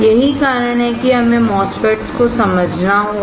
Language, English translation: Hindi, This is why we have to understand MOSFETS